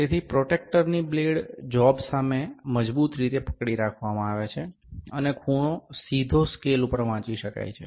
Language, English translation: Gujarati, So, the blade of the protractor is held firmly against the job, and the angle can be directly read from the scale